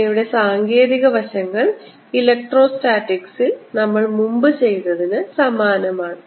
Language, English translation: Malayalam, these materials techniques are going to be similar to what we did earlier in the case of electrostatics